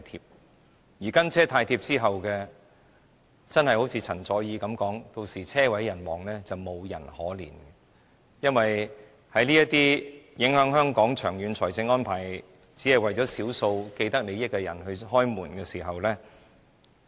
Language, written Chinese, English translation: Cantonese, 正如陳佐洱所說的，"跟車"太貼之後車毀人亡，沒有人會可憐，因為這些長遠影響香港財政的安排只是為了少數既得利益者開門。, As remarked by CHEN Zuoer tailgating would cause a fatal car crash . No one will feel pity for us . Just for the sake of a handful of people with vested interests we are going to open the door for the arrangement which will affect the long - term financial situation of Hong Kong